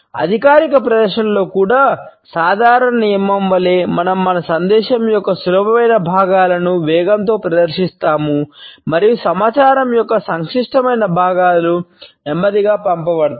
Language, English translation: Telugu, Even in official presentation we find that as a general rule we present the easy portions of our message and presentation in a faster speed and the complicated parts of the information are passed on in a slow manner